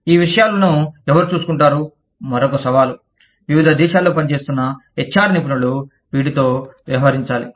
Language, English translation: Telugu, Who takes care of these things, is another challenge, that the HR professionals, operating in different countries, have to deal with